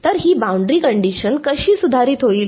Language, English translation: Marathi, So, how will this boundary condition get modified